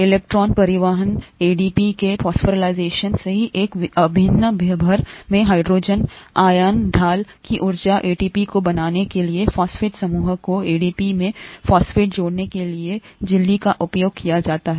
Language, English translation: Hindi, The electron transport phosphorylation of ADP, right, the energy of the hydrogen ion gradient across an integral membrane is used to add phosphate to the phosphate group to ADP to form ATP